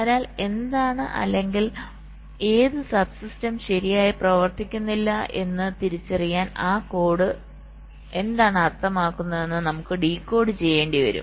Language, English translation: Malayalam, so we will have to decode what that code means, to identify what or which sub system is not working correctly